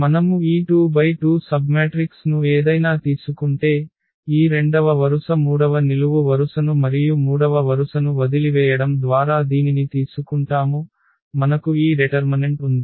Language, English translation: Telugu, So, if we take any this 2 by 2 submatrix for example, we take this one by leaving this second row third column and the third row